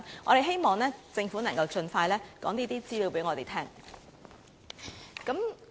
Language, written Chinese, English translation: Cantonese, 我希望政府能夠盡快把這些資料告訴我們。, I hope the Government can tell us such information as soon as possible